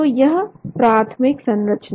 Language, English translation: Hindi, So the primary structure